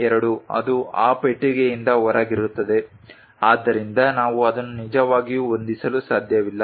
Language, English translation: Kannada, 02 it will be out of that box so, we cannot really fit it